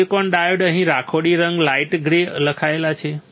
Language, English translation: Gujarati, Silicon dioxide is written here right grey colour light grey next step